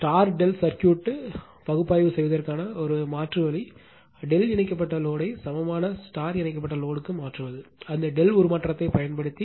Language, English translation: Tamil, So, so an alternative way of analyzing star delta circuit is to transform the delta connected load to an equivalent star connected load, using that delta transformation